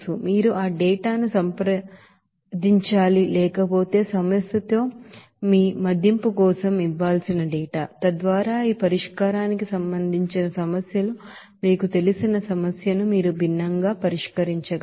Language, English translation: Telugu, You have to consult that data otherwise the data to be given for your assessment in the problem so that you can solve the problem different you know problems related to this solution